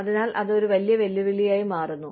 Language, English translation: Malayalam, So, that becomes a big challenge